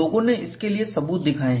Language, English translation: Hindi, People have shown evidence of that